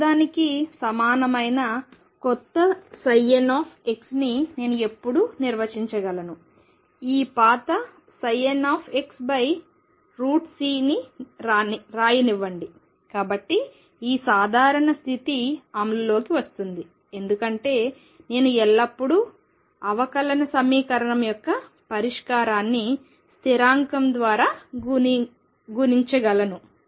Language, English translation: Telugu, That I can always defined a new psi n x which is equal to the old let me write this old psi n x divided by square root of c, So that this condition of normality is going to be enforced because I can always multiply solution of differential equation by constant